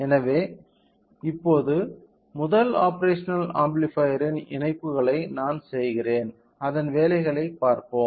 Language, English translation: Tamil, So, now, I make the connections of first operational amplifier, let us see the working of it